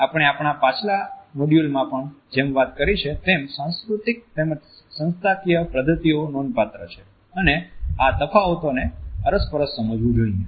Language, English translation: Gujarati, However, as we have commented in our previous module also, the cultural as well as institutional practices are significant and these differences should be understood by the interactants